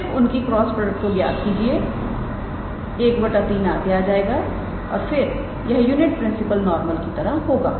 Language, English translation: Hindi, So, just calculate their cross product one by three will come up front and then we will have this as the as the required unit principle normal